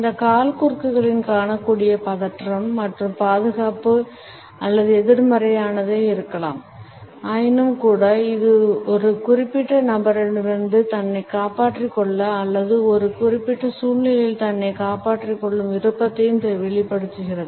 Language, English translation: Tamil, The tension and anxiety which is visible in these crosses can be either protective or negative, but nonetheless it exhibits a desire to shield oneself from a particular person or to shield oneself in a given situation